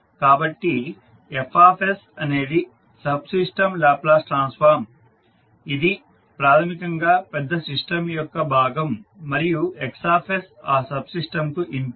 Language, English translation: Telugu, So Fs is the Laplace transform subsystem that is basically the part of a larger system and Xs is the input for that subsystem